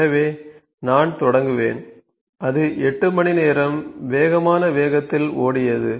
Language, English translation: Tamil, So, let me start so, it has run for 8 hours at the fastest speed, it has run for 8 hours